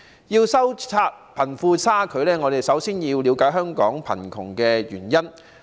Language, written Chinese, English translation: Cantonese, 要收窄貧富差距，我們首先要了解香港貧窮的原因。, To reduce the disparity between the rich and the poor we must first find out the causes of poverty in Hong Kong